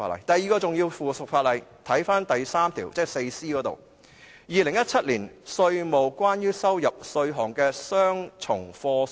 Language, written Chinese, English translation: Cantonese, 第二項重要的附屬法例是《2017年稅務令》——又是一項公告。, The second important piece of subsidiary legislation is the Inland Revenue New Zealand Amendment Order 2017 which is another notice